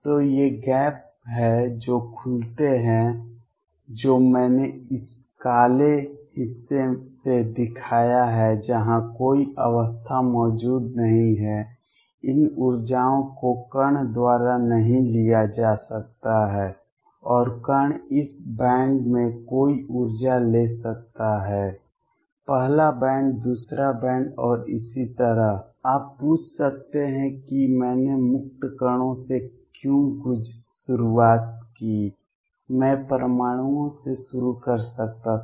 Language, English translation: Hindi, So, there are these gaps which open up which I have show by this black portion where no state exists, these energies cannot be taken up by the particle and the particle can take any energy in this band; first band second band and so on you may ask why did I start with free particles, I could have started with atoms